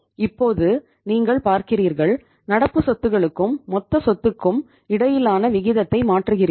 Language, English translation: Tamil, Now you look at now you have changed the ratio between the current asset to total assets extent of the current assets has been increased